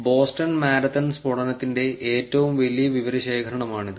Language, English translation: Malayalam, This is the largest known dataset of Boston marathon blast